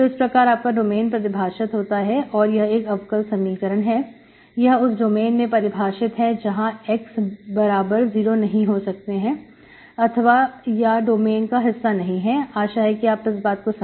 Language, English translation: Hindi, So you should have at any domain, this can be differential equation, it is defined in some domain where x equal to 0 is not part of the domain, it should not be part of it, okay